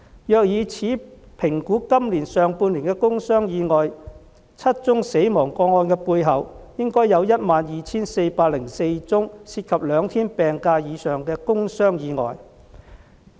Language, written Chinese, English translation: Cantonese, 若以此評估今年上半年的工傷意外 ，7 宗死亡個案的背後，應有 12,404 宗涉及兩天病假以上的工傷意外。, If we make an assessment of the industrial injuries and accidents in the first half of this year with this ratio we understand that behind these seven fatal cases 12 404 industrial injury cases with more than two days of sick leave should be involved